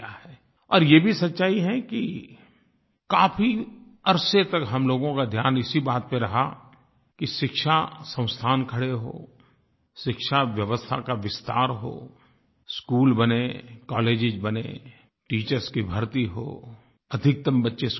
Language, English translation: Hindi, It is true that for a long time our focus has been on setting up educational institutions, expanding the system of education, building schools, building colleges, recruiting teachers, ensuring maximum attendance of children